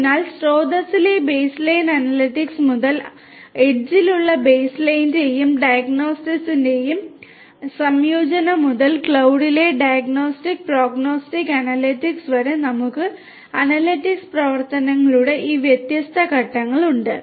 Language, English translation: Malayalam, So, starting from baseline analytics at the source to a combination of baseline and diagnostic at the edge to the diagnostic and prognostic analytics at the cloud we have these different phases of operations of analytics